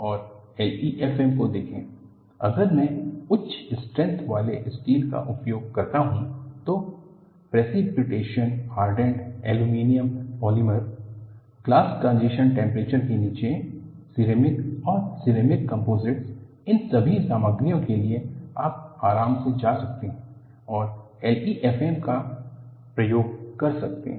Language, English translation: Hindi, And, when you look at L E F M, if I use high strength steel, precipitation hardened aluminum, polymers below glass transition temperature, ceramics and ceramic composites; for all of these materials, you could comfortably go and attempt L E F M